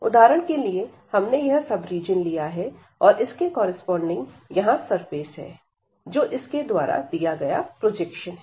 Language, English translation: Hindi, And this consider for example, one sub region here and these corresponding to this we have the surface here, which is actually the projection given by this one